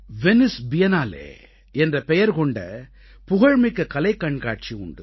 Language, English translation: Tamil, There is a famous art show called the Venice Biennale', where people from the world over congregate